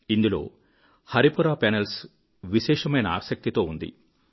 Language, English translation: Telugu, Of special interest were the Haripura Panels